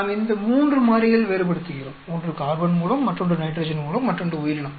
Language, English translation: Tamil, We are varying three variables one is the carbon source, another is the nitrogen source, another is the organism